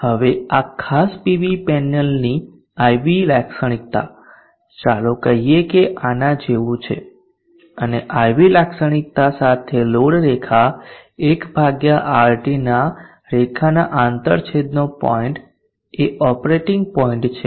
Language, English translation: Gujarati, Now this IV characteristic of this particular PV panel let us say is like this and the point of intersection of the load line 1/RT line with the IV characteristic is the operating point